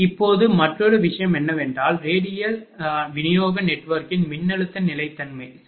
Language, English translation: Tamil, Now, another thing is, that voltage stability of radial distribution network, right